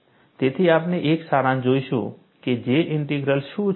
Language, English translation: Gujarati, So, we will see, in a summary, what is J Integral